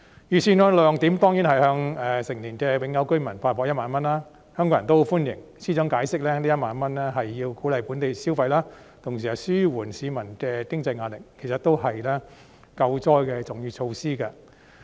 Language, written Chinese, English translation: Cantonese, 預算案的亮點當然是向成年的永久居民發放1萬元，香港人也十分歡迎，司長解釋這1萬元是為了鼓勵本地消費，同時紓緩市民的經濟壓力，其實都是救災的重要措施。, A highlight of the Budget is certainly the cash payout of 10,000 to permanent residents aged 18 or above . Hong Kong people very much welcome this . The Financial Secretary has explained that the payout of 10,000 aims at encouraging local consumption and relieving peoples financial pressure